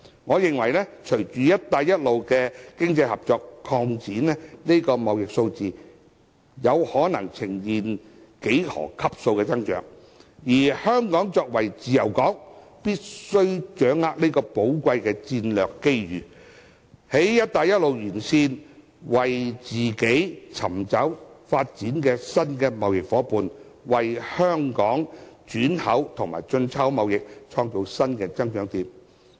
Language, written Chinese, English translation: Cantonese, 我認為隨着"一帶一路"的經濟合作擴展，這個貿易數字有可能呈現幾何級數的增長，而香港作為自由港，必須掌握這個寶貴的戰略機遇，在"一帶一路"沿線為自己尋找新的貿易發展夥伴，為香港轉口和進出口貿易創造新的增長點。, Against a background of expanding economic cooperation under the One Belt One Road initiative I expect an exponential increase in trade volumes . Hong Kong as a free port must seize this precious strategic opportunity to identify our new trade partner along the route in order to give new impetus towards transit trade and import - export trade in Hong Kong